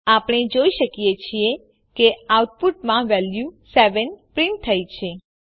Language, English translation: Gujarati, We see in the output, the value 7 is printed